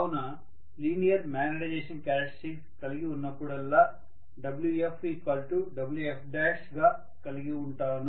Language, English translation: Telugu, So whenever I consider a linear magnetization characteristics, I am going to have Wf equal to Wf dash